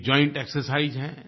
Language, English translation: Hindi, This is a joint exercise